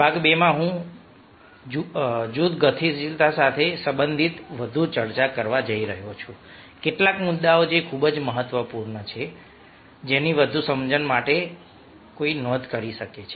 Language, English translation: Gujarati, in part two i am going to discuss further related to group dynamics ah, some of the points which are very, very important ah which one can ah note for further understanding